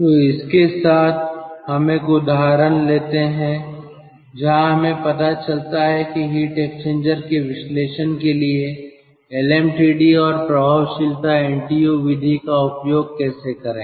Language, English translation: Hindi, so with this ah, let us take an example where we ah get to know how to use the lm td and effectiveness ntu method for the analysis of heat exchanger